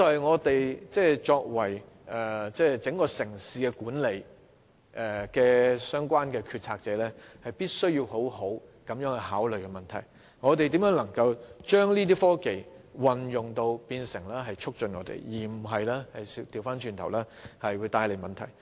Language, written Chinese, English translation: Cantonese, 我想這就是作為管理整個城市的決策者，必須好好考慮的問題：我們如何能運用科技以促進社會發展，而不是反而為社會帶來問題。, I think the question that the decision makers who manage the entire city must carefully consider is How to use technology to promote social development instead of bringing problems to society